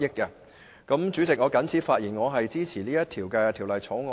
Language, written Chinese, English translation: Cantonese, 代理主席，我謹此發言，並支持《條例草案》恢復二讀。, With these remarks Deputy President I support the resumption of the Second Reading of the Bill